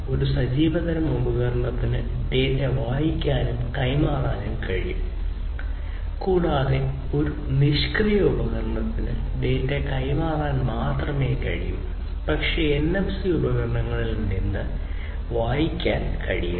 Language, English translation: Malayalam, An active device, active type of device can both read and transmit data, and a passive device can only transmit data, but cannot read from the NFC devices